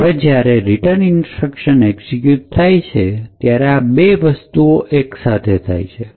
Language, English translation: Gujarati, Now when the return instruction is executed there are two things that simultaneously occur